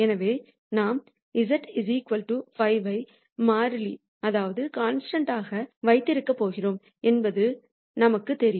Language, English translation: Tamil, So, we know that we are going to keep or hold the z equal to 5 as a constant